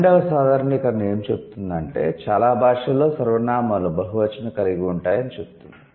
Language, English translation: Telugu, 12th generalization says, most languages have plural pronouns